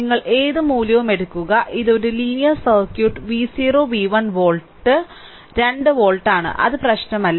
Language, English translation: Malayalam, You take any value it is a linear circuit V 0 1 volt 2 volt does not matter